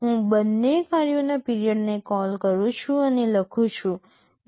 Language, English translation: Gujarati, I am calling the two functions period and write, 0